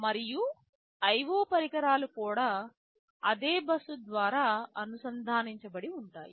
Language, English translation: Telugu, And IO devices are also typically connected through the same bus